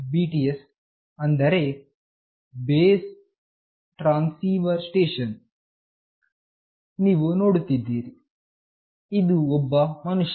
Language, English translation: Kannada, BTS stands for Base Transceiver Station, you see this is one person